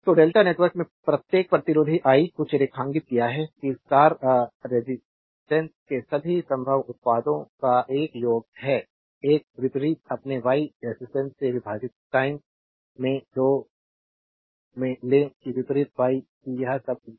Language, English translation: Hindi, So, each resistor in the delta network I made something underline, that is a sum of all possible products of star resistance take into 2 at a time divided by the opposite your Y resistance that opposite Y that that is all right